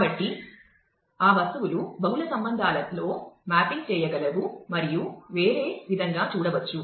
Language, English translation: Telugu, So, that objects can map to multiple tuples, in multiple relations and can be viewed in a different way